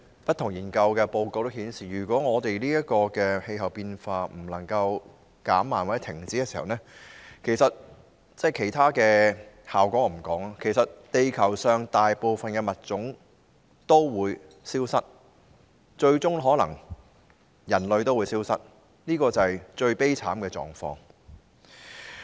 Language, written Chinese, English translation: Cantonese, 不同研究報告均顯示，如果我們的氣候變化無法減慢或停止，其他的後果我先不談，其實地球上大部分物種也會消失，最終可能連人類也會消失，這是最悲慘的狀況。, Different studies show that if the climate change we face does not slow down or stop to say the least about other consequences actually most of the species on Earth will disappear and eventually even human beings may disappear in the most tragic situation